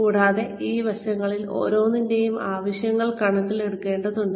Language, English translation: Malayalam, And, the needs of, each one of these aspects, have to be taken into account